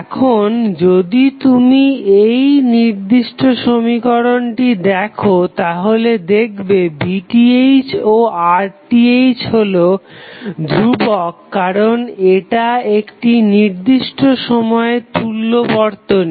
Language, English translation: Bengali, Now, if you see this particular equation Pth and Rth is fixed because this is network equivalent at 1 particular point of time